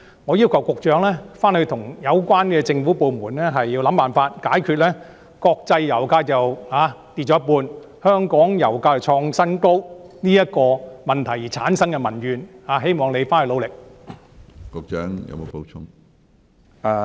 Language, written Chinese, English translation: Cantonese, 我要求局長與有關政府部門設法解決國際油價下跌一半，但香港油價卻創新高所產生的民怨，希望局長努力解決這個問題。, I request the Secretary and the relevant government departments to exhaust all means to address the public grievances brought by our record - high oil prices bearing in mind that international oil prices have dropped by half . I hope the Secretary can try hard to solve this problem